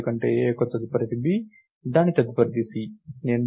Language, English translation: Telugu, So, a’s next is b, its next is c